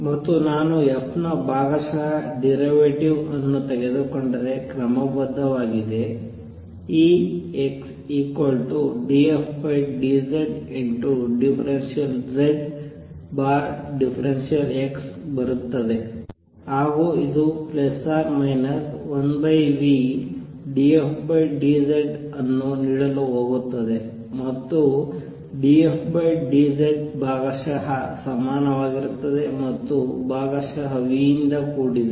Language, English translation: Kannada, And if I take partial derivative of f is respect to x this is going to be d f d z times partial z over partial x which is going to give me minus one over v d f d z and d f d z is same as partial and is by partial v